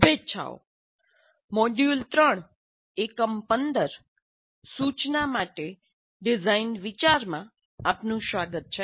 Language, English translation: Gujarati, Greetings, welcome to module 3, Unit 15 Instruction for Design Thinking